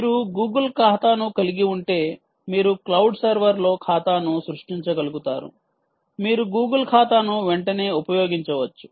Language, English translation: Telugu, if you have a google account, you should be able to create an account on the cloud server